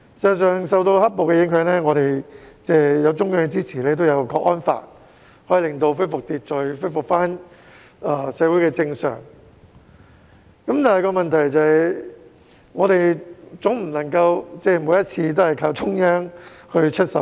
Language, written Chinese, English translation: Cantonese, 事實上，對於"黑暴"的影響，我們在中央支持下落實了《香港國安法》，秩序隨而恢復、社會回復正常，但我們總不能每次也依靠中央出手。, In the dealing with the aftermath of the black - clad riots we have implemented the Hong Kong National Security Law under the auspices of the Central Authorities . Order has been restored and society has returned to normal but we should not rely on the Central Authorities to take action every time